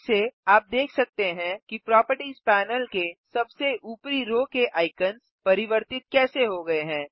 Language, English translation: Hindi, Again, you can see how the icons at the top row of the Properties panel have changed